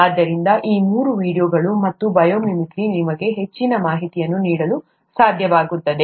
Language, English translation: Kannada, So these three, videos and bio mimicry would be able to give you more information on that